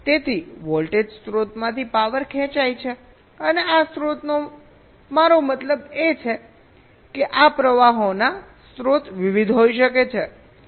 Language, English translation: Gujarati, so power is drawn from the voltage source, and this source, i mean sources of these currents can be various